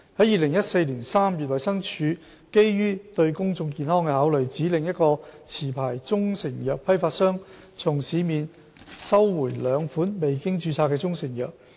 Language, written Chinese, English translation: Cantonese, 2014年3月，衞生署基於對公眾健康的考慮，指令一個持牌中成藥批發商從市面收回兩款未經註冊的中成藥。, In March 2014 the Department of Health DH instructed a licensed wholesaler of proprietary Chinese medicines to recall two unregistered proprietary Chinese medicines from the market on grounds of public health